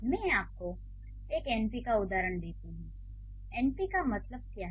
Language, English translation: Hindi, Let me give you an example of an NP